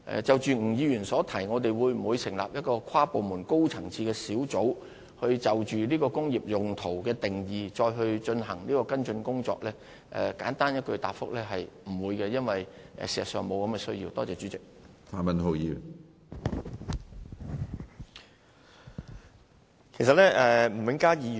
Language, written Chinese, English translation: Cantonese, 就着吳議員詢問我們會否成立一個跨部門及高層次的工作小組，就"工業用途"一詞的定義進行跟進工作，簡單的答覆是不會的，因為事實上並無此需要。, Regarding Mr NGs enquiry on whether we will establish a high - level interdepartmental working group to follow up the work on the definition of the term industrial use I am afraid my simple answer is in the negative because there is genuinely not such a need